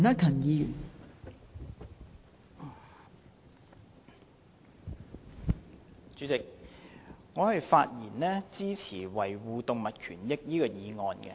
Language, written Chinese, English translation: Cantonese, 代理主席，我發言支持"維護動物權益"的議案。, Deputy President I speak in support of the motion on Safeguarding animal rights